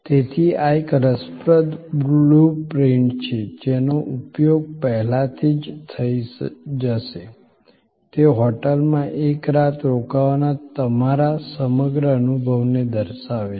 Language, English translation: Gujarati, So, this is an interesting blue print that will get already used before, it shows your entire set of experience of staying for a night at a hotel